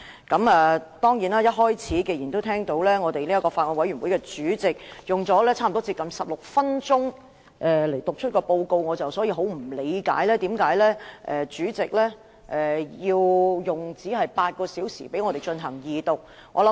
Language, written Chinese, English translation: Cantonese, 既然法案委員會主席一開始用了近16分鐘就法案委員會報告發言，我很不理解為何主席只容許我們用8小時進行二讀辯論。, Since the Chairman of the Bills Committee has at the outset spent almost 16 minutes speaking on the report of the Bills Committee I do not understand why the President only allows us eight hours for the Second Reading debate